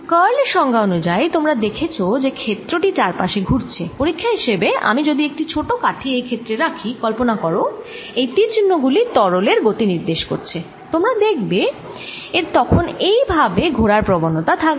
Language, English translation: Bengali, or, as i said, as a test of curl, if i put a small stick in this field and imagine these arrows indicate the velocity of a fluid, you will see that this will tend to rotate this way